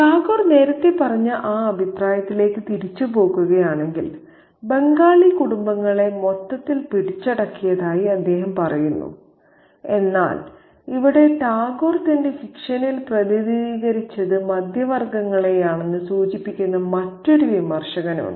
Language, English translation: Malayalam, If we go back to that earlier comment made by Tegor, he says that he has captured Bengali families as a whole, but here we have another critic suggesting that it is the middle classes that were especially represented by Tegu in his fiction